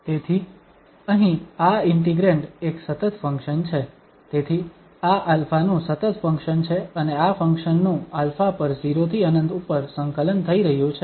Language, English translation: Gujarati, So, this integrand here is an even function, so this is an even function of alpha and this function is being integrated over alpha from 0 to infinity